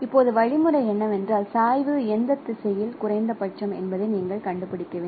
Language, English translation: Tamil, So, now the algorithm is that no you have to find out in which direction the gradient is minimum